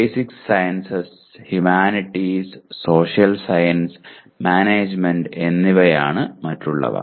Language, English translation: Malayalam, The other ones are basic sciences, humanities, social sciences, and management